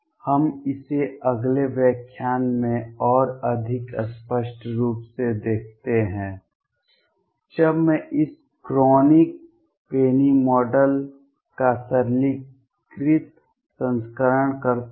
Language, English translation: Hindi, We see it more clearly in the next lecture when I do a simplified version of this Kronig Penney Model